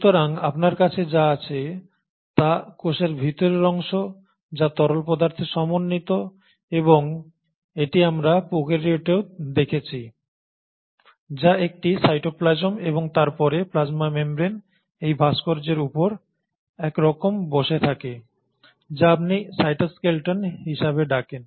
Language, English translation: Bengali, So what you have is the interior of the cell which consists of a fluidic arrangement and that is what we had seen in prokaryotes also which is a cytoplasm, and then the plasma membrane kind of a rests on this scaffold of various fibres and what you call as the cytoskeleton